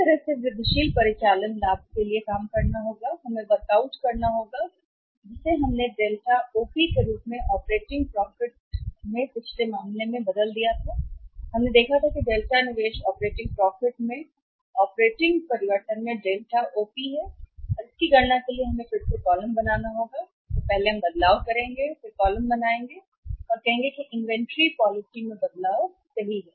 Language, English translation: Hindi, So, same way will have to work out the incremental operating profit incremental, incremental operating profit, incremental operating we will have to work out as which we called it as Delta OP change in the operating profit as in the previous case we have seen the Delta investment is the Delta OP in the operating change in the operating profit and for calculating this again we will have to make the columns first is the change in change change in was will have to make the first column which will say that is a change in inventory policy right